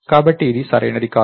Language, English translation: Telugu, So, this is not correct